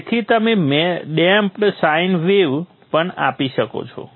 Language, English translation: Gujarati, So you can give a damped sign wave also